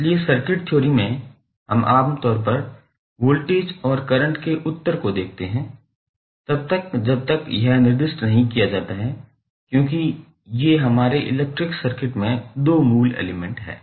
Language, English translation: Hindi, So, in the circuit theory we generally represent the answers in the form of voltage and current until and unless it is specified because these are the two basic elements in our electric circuit